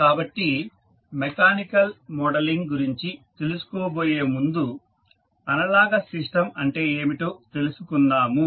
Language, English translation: Telugu, So, before proceeding to the mechanical modeling, let us understand what the analogous system means